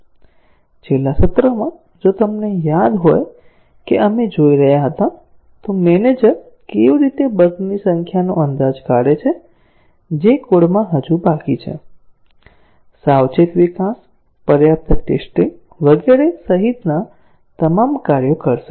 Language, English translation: Gujarati, In the last session, if you remember we were looking at, how does a manager estimate the number of errors that are still left in the code, after all the things that he could do, including careful development, adequate testing and so on